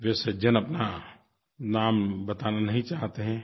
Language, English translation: Hindi, The gentleman does not wish to reveal his name